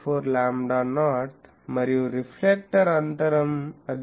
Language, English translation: Telugu, 4 lambda not and reflector spacing; that is 0